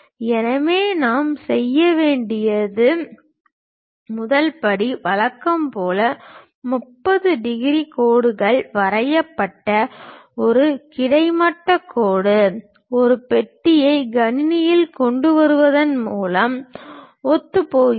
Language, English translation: Tamil, So, the first step what we have to do is as usual, a horizontal line draw 30 degrees lines, that coincides by bringing this box into the system